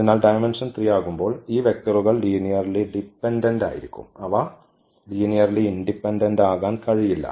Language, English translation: Malayalam, So, when the dimension is 3 these vectors must be linearly dependent, they cannot be linearly independent